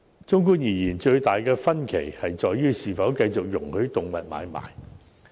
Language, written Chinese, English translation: Cantonese, 綜觀而言，最大的分歧在於是否繼續容許動物買賣。, In a nutshell the biggest difference lies in whether animal trading should still be allowed